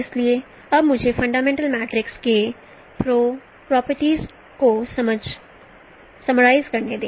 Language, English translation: Hindi, So now let me summarize the properties of fundamental matrix